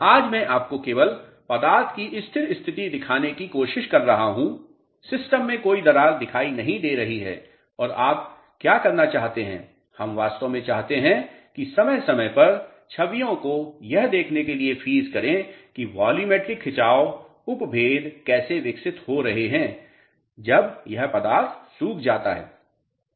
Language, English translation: Hindi, Today I am just trying to show you the stable state of the material there are no cracks appear in the system and what you want to do is we want to in fact, freeze the images over a period of time to see how volumetric strains are developing in the material when it dries